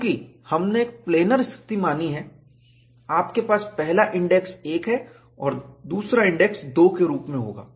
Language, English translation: Hindi, Since we are considering a planar situation, you will have the first index 1 and second index as 2